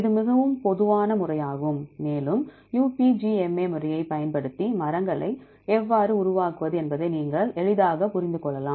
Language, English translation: Tamil, It is very common method, and you can easily understand how to construct the trees using UPGMA method